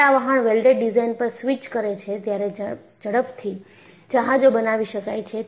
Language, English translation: Gujarati, When they switched over to welded design, they could quickly make the ships